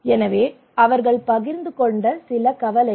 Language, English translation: Tamil, So these are some of the concern they shared